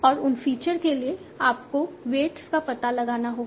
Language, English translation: Hindi, And for those features, you have to learn the weights